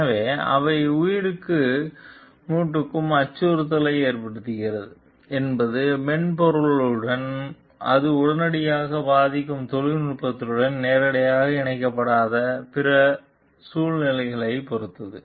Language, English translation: Tamil, So, but whether they threaten life and limb may depend on other circumstances which may not be directly linked with the software and the technology it immediately affects